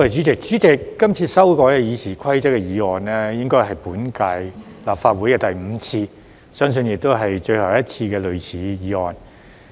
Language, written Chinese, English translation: Cantonese, 主席，今次修改《議事規則》的議案，應該是本屆立法會的第五次，相信亦是最後一次的類似議案。, President the present motion to amend the Rules of Procedure RoP is the fifth motion of this kind put forth in the current term of the Legislative Council and I believe this will be the last time that such a motion is proposed